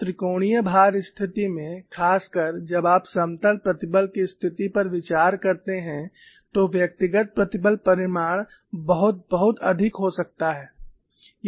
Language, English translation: Hindi, In a triaxial loading situation particularly, when you consider plane strain situation the individual stress magnitudes can be very high